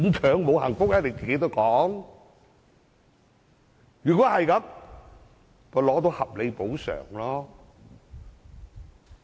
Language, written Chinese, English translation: Cantonese, 若然如此，倒不如拿取合理補償。, If so why not seek reasonable compensation and leave